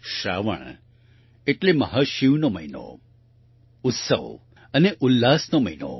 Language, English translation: Gujarati, Sawan means the month of Mahashiv, the month of festivities and fervour